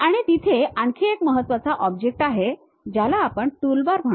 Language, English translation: Marathi, And there is another important object which we call toolbar